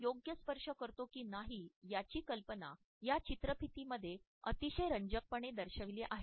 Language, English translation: Marathi, The idea whether it touches appropriate or not is very interestingly displayed in this video